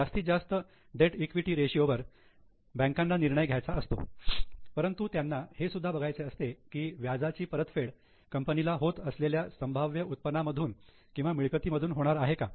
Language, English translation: Marathi, So, bankers want to decide on maximum debt equity ratio, but they also look at whether the interest which is going to be repaid is covered by the income or earnings of the company